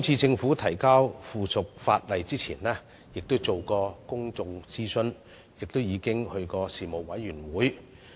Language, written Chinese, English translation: Cantonese, 政府在提交相關附屬法例前亦曾諮詢公眾，並在事務委員會會議上討論。, Before introducing the piece of subsidiary legislation the Government already conducted public consultations and held discussions at panel meetings